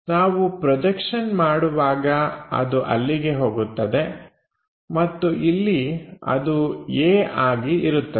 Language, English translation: Kannada, If we are making projection goes on to that and that will be somewhere here a